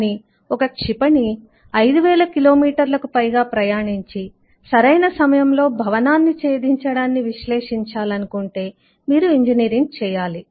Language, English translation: Telugu, but when you want to do that with by firing a missile which has to go over 5000 kilometers and still hit a building at right point, you need to do engineering